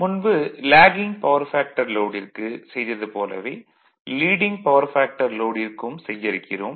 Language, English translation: Tamil, So the way, we have done Lagging Power Factor Load, same way we will do it your Leading Power Factor